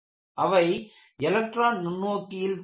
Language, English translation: Tamil, They are visible in electron microscope